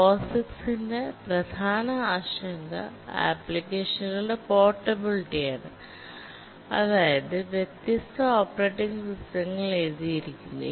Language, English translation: Malayalam, The major concern for POGICs is portability of applications written in different operating systems